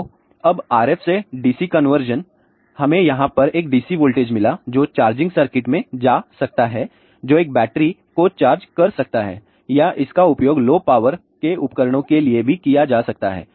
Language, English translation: Hindi, So, this now RF to dc conversion we got a DC voltage over here that can go to the charging circuit which can charge a battery or it can be use for low power devices also